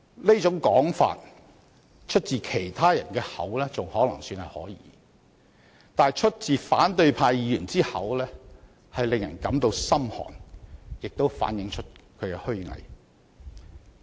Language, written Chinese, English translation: Cantonese, 這種說法出自其他人的口還可說得過去，但出自反對派議員之口卻令人感到心寒，亦反映出他們的虛偽。, It would be understandable had this remark been made by other people . However I can feel a chill down my spine when it is made by a Member of the opposition camp . This also reflects their hypocrisy